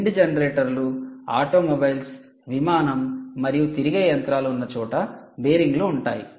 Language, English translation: Telugu, you will find bearings in wind generator, automobiles, aircrafts wherever there is rotating machinery